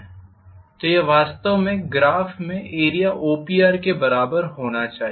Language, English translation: Hindi, So this should be actually equal to area OPR in the graph